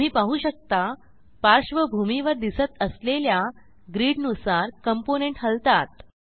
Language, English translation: Marathi, You can see that the component moves according to the grid displayed in the background